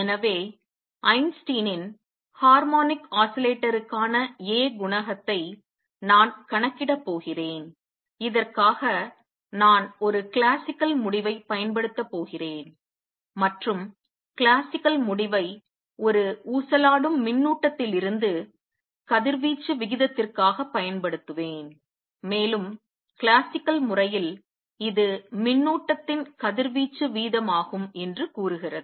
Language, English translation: Tamil, So, I am going to calculate Einstein’s A coefficient for harmonic oscillator, for this I will use a classical result and the classical result for rate of radiation from an oscillating charge and use that result and that says classically it is rate of radiation form a charge